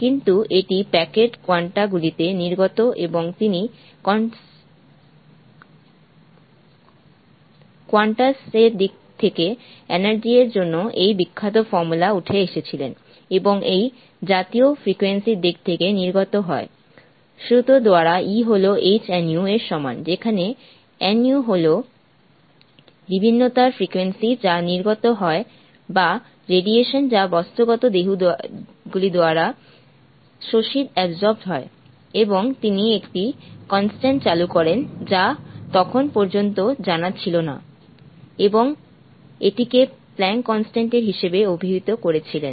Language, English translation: Bengali, And he came up with this famous formula for the energy in terms of the quanta and in terms of the frequency of light that get emitted by the formula E E = hv, where v is the frequency of the radiation that gets emitted or the radiation that gets absorbed by the material bodies, and he introduces a constant which was not know until then and call this as the planck's constant